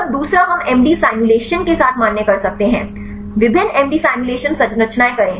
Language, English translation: Hindi, Then second we can validate with the MD simulations; do the different MD simulation structures